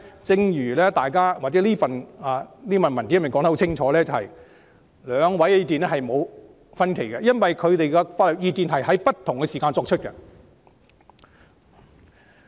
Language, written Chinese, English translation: Cantonese, 正如這份新聞稿清楚指出，兩份意見是沒有分歧的，因為兩份法律意見是在不同時間作出的。, As clearly stated in the press release the two pieces of legal advice are no different from each other for they were given at different times